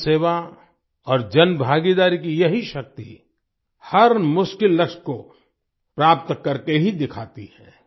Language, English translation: Hindi, This power of public service and public participation achieves every difficult goal with certainty